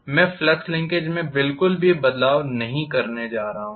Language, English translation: Hindi, I am not going to have any change in the flux linkage at all